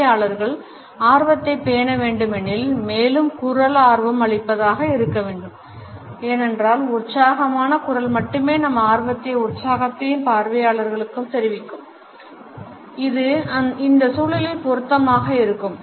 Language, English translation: Tamil, Further in order to maintain the interest of the audience the voice should be enthusiastic because only an enthusiastic voice would convey our interest and excitement to the audience and it would be in fixtures in this context